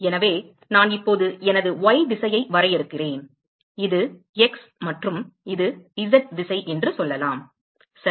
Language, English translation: Tamil, So, supposing I now define this my y direction, this is x and this is let us say z direction ok